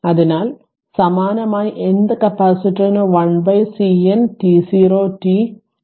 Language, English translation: Malayalam, So, similarly for n th capacitor up to n 1 upon CN t 0 t it dt plus t n t 0 right